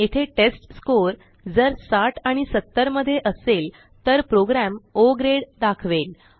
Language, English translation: Marathi, Here if the testScore is between 60 and 70 the program will display O Grade